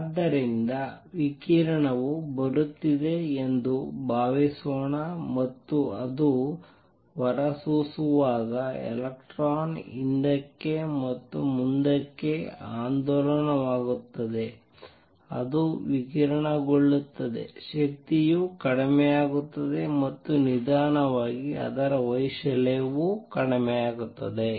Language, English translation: Kannada, Suppose the radiation is coming from it an oscillator and electron oscillating back and forth when it radiates will radiate the energy will go down and slowly it is amplitude will go down